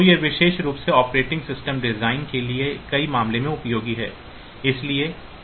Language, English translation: Hindi, So, this is useful in many cases like particularly for operating system design